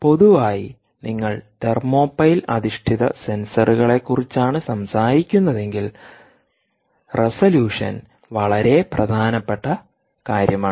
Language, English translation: Malayalam, if you are talking about thermopile based sensors, you may also want to look at resolution, which is an very important things